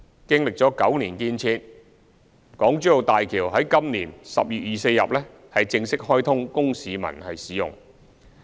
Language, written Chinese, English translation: Cantonese, 經歷9年建設，港珠澳大橋在今年10月24日正式開通供市民使用。, After nine years of construction the Hong Kong - Zhuhai - Macao Bridge HZMB was officially commissioned on 24 October this year for public use